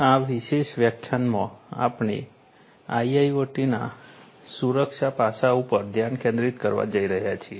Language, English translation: Gujarati, In this particular lecture, we are going to focus on the Security aspects of a IIoT